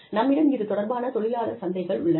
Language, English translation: Tamil, Then, we have relevant labor markets